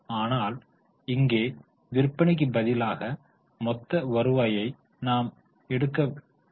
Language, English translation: Tamil, But here instead of sales, we would take the total revenues